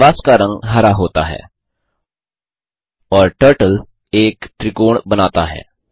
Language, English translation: Hindi, The canvas color becomes green and the Turtle draws a triangle